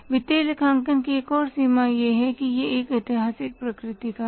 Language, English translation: Hindi, Another limitation of the financial accounting is that it is historical in nature